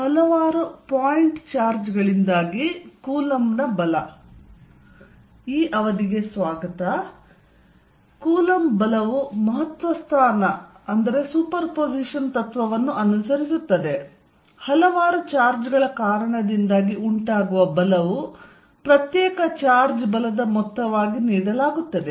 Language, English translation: Kannada, The Coulomb force follows the principle of superposition; that is the force due to several charges is given as the sum of force due to individual charge